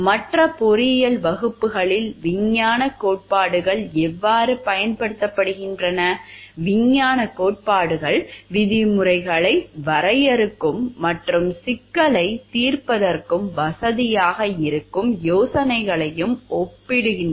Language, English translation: Tamil, Thus it is exactly how the scientific theories are used in other engineering classes, scientific theories also organize ideas, define terms and facilitate problem solving